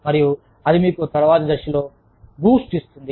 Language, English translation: Telugu, And, that will give you boost, at a later stage